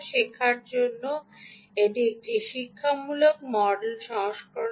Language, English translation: Bengali, this is an educational version, free for learning